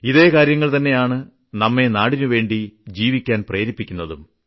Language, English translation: Malayalam, And these are the thoughts that inspire us to live for the country